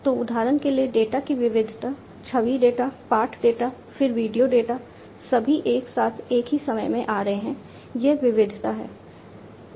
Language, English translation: Hindi, So, variety of data for example, image data, text data, then video data, all coming together at the same time, that is variety